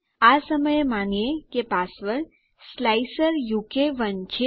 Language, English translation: Gujarati, Choose a password, lets say slicer u k 1